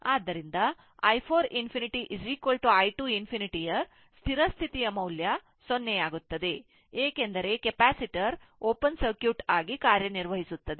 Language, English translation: Kannada, So, i 4 infinity the steady state value is equal to i 2 infinity is equal to 0 because capacitor act as an open circuit